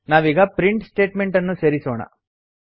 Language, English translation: Kannada, Now let us add the print statement, System